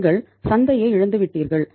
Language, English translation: Tamil, You have lost the market